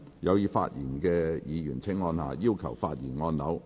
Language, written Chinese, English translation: Cantonese, 有意發言的議員請按下"要求發言"按鈕。, Members who wish to speak will please press the Request to speak button